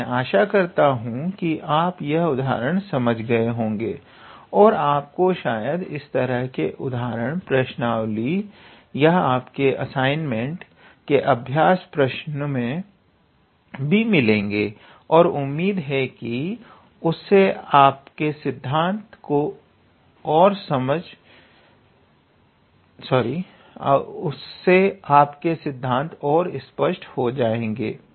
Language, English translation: Hindi, So, I hope you were able to understand this example and we will probably have such kind of examples in your exercise or in your assignments and hopefully that will make the concepts even more clear all right